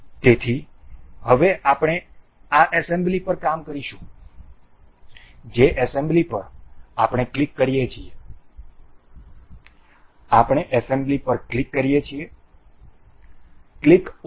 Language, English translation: Gujarati, So, now we will be working on this assembly we click on assembly, we click on assembly click ok